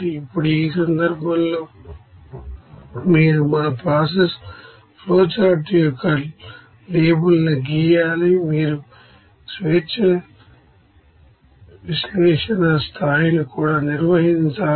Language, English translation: Telugu, Now in this case you have to draw the label of this you know our process flowchart you have to you know also perform the degree of freedom analysis